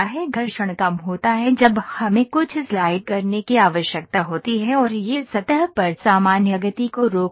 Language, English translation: Hindi, Friction less is when we need to slide something and it prevents movement normal to the surface